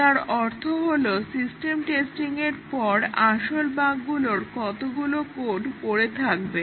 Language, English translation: Bengali, So, that means, that how many of the original bugs would still remain in the code after system testing